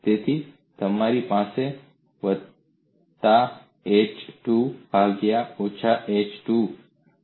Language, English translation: Gujarati, So you have plus h by 2, minus h by 2, at h by 2